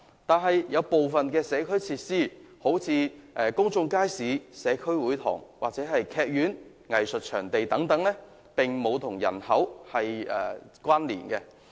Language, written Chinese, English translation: Cantonese, 然而，部分社區設施如公眾街市、社區會堂，以及劇院或藝術場地等，則與人口並無關連。, However the provision of community facilities such as public markets community halls and theatres or arts venues are not related to population